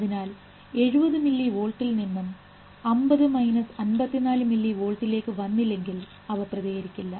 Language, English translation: Malayalam, So from 70 millie volt unless they come to minus 55 millie , they will not fire